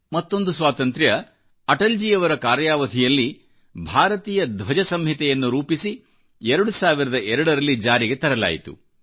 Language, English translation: Kannada, One more freedomthe Indian Flag Code was framed in Atalji's tenure and it came into effect in 2002